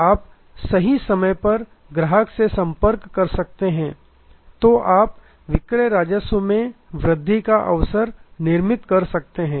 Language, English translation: Hindi, So, that you are able to contact the customer at the right time when you can create a sales revenue opportunity